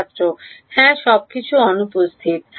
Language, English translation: Bengali, Yeah absence of everything